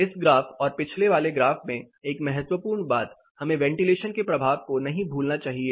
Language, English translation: Hindi, This graph and the previous one, one crucial thing we should not forget the effect of ventilation